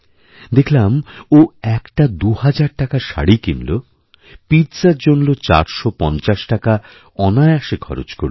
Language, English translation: Bengali, She coolly spent two thousand rupees on a sari, and four hundred and fifty rupees on a pizza